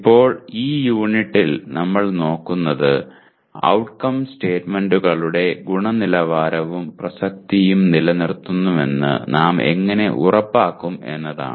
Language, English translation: Malayalam, Now in this unit what we will look at is, how do you make sure that the quality and relevance of outcome statements is maintained